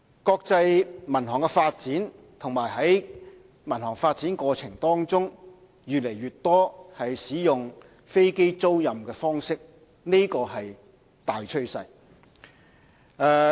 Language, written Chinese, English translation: Cantonese, 國際民航發展和在民航發展過程當中，越來越多使用飛機租賃方式，這是大趨勢。, Aircraft leasing has become an increasingly common practice in the development of global civil aviation . This is the prevailing trend